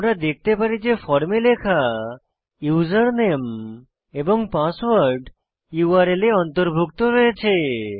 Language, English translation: Bengali, We can see that username and password that we had entered in the form is inside the URL also